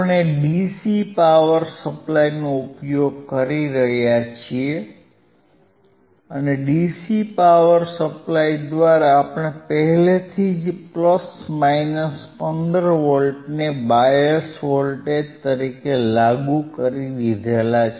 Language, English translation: Gujarati, We are using the dcDC power supply, and through dcDC power supply we have already applied plus minus 15 volts as bias voltage